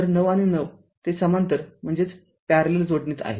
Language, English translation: Marathi, So, 9 and 9 they are in parallel